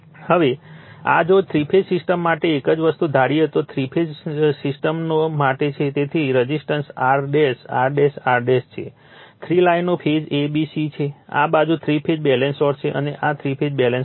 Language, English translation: Gujarati, Now, now this one your if for three phase system, we assumed also same thing that your three phase systems, so resistance is R dash, R dash, R dash; three lines is there phase a, b, c; this side is three phase balanced source right, and this is three phase balanced load